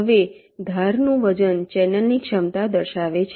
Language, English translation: Gujarati, now, edge weight represents the capacity of the channel